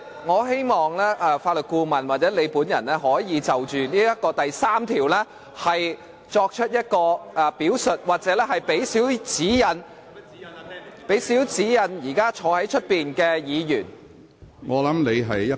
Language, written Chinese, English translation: Cantonese, 我希望法律顧問或主席可以就該條例第3條作出表述，向現時在主席台前的議員提供少許指引。, I hope the Legal Adviser or the President could elaborate on section 3 of PP Ordinance so as to provide a little bit of guidance to Members now in front of the Presidents podium